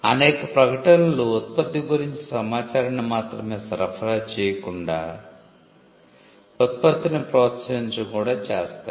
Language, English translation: Telugu, Because many advertisements go beyond supplying information about the product, they also go to promote the product